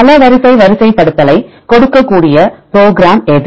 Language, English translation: Tamil, Which is a program which can give the multiple sequence alignment